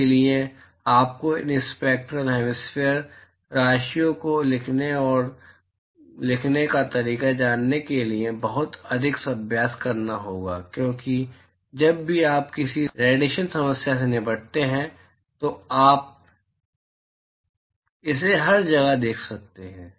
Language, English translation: Hindi, So, you have to practice a lot more to get a feel of how to write these spectral hemispherical quantities because anytime you deal with any radiation problem you are going see this all over the place